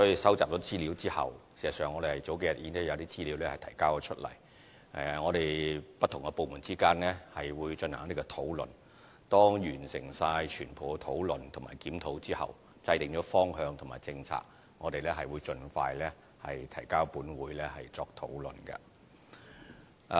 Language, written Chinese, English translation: Cantonese, 事實上，我們數天前已收集了有關資料，我們不同部門之間會進行討論；當完成全部的討論及檢討，並制訂了方向和政策後，我們會盡快提交立法會作討論。, In fact with the information collected a few days ago we will hold an inter - departmental discussion in due course . After all the discussions and reviews have been conducted we will map out our direction and policy and the report concerned will be submitted to the Legislative Council for deliberation as soon as possible